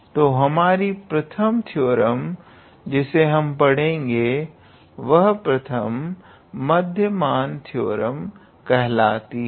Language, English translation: Hindi, So, the first theorem is; the first theorem which I am talking about is first mean value theorem